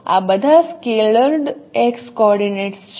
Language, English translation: Gujarati, These are all scalar x coordinates